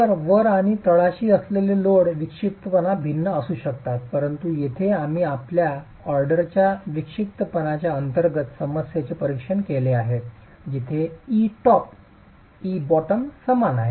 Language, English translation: Marathi, So, load eccentricity at the top and bottom can be different but here we have examined the problem under a first order eccentricity where e top is equal to e bottom